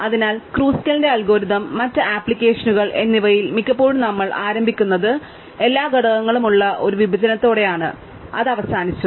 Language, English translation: Malayalam, So, in Kruskal's algorithm and other applications, very often we start with a partition in which every element is on, its own